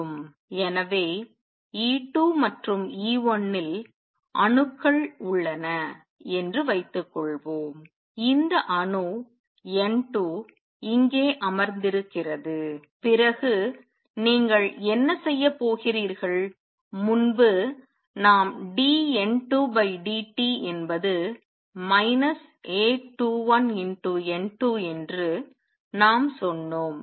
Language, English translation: Tamil, So, suppose there are atoms in E 2 and E 1 and there is this atom N 2 sitting here then what you have going to have earlier we said the dN 2 by dt is minus A 21 N 2